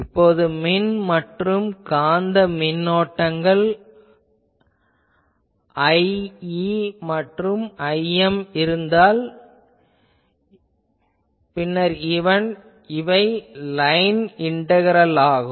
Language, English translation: Tamil, Now, if we have electric and magnetic currents I e and I m, then the integrals will become line integrals